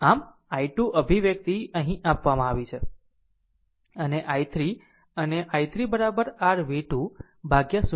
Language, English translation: Gujarati, So, i 2 expression is given here right and i 3 and i 3 is equal to your v 2 upon 0